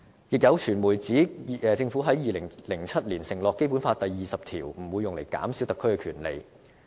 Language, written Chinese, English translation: Cantonese, 亦有傳媒指政府在2007年承諾《基本法》第二十條不會用於減少特區的權利。, Some media also say that in 2007 the Government undertook that Article 20 of the Basic Law would not be used to reduce the rights of the HKSAR